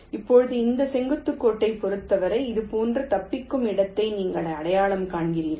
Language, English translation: Tamil, now, with respect to these perpendicular lines, you identify escape point like this: you see this line s one